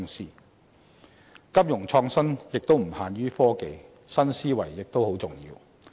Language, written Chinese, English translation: Cantonese, 促進金融創新發展的因素亦不限於科技，新思維亦很重要。, Technology is not the only factor contributing to development in financial innovation new mindset is another vital one